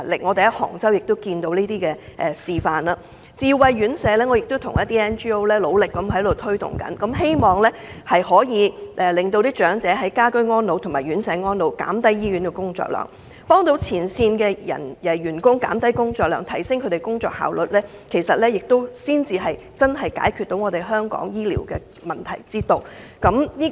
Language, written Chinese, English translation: Cantonese, 我們在杭州已看過這類示範，我亦向一些 NGO 努力推動智慧院舍，希望長者能夠在家居和院舍安老，減輕醫護人員、前線員工的工作量，提升工作效率，這才是真正解決香港醫療問題之道。, We saw such examples in Hangzhou . I have also strongly promoted smart elderly care to non - government organizations so as to enable elderly people to rest at home or aged homes and reduce the workload of healthcare personnel and frontline staff and enhance work efficiency . This is the way to genuinely address the healthcare problems in Hong Kong